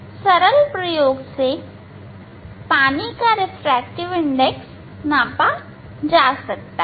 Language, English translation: Hindi, some simple experiment we are able to measure this refractive index of water ok